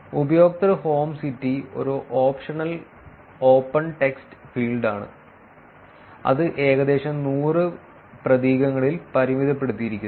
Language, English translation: Malayalam, And the user home city is an optional open text field limited to about 100 characters